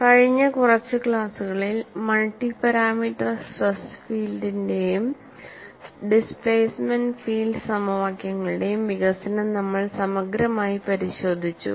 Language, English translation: Malayalam, In the last few classes, we had looked at exhaustively, the development of multi parameter stress field and displacement field equations